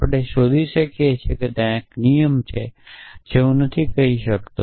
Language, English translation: Gujarati, We can derive s there is a rule which I am not may be not stated